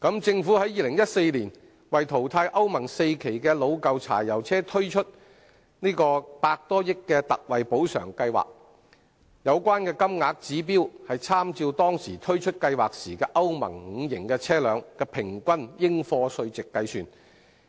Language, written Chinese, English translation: Cantonese, 政府於2014年為淘汰歐盟 IV 期的老舊柴油車推出百多億元的特惠補償金計劃，有關金額的指標，是參照當時推出計劃的歐盟 V 期車輛的平均應課稅值計算。, In 2014 the Government launched the ex - gratia payment scheme costing some 10 billion for phasing out aged Euro IV diesel vehicles . The relevant payments are calculated with reference to the average taxable value of Euro V vehicles at the time when the scheme was launched